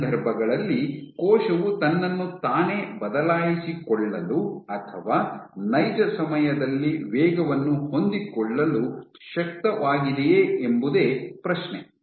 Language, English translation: Kannada, In these cases, does is the cell able to change itself adapt itself speed in real time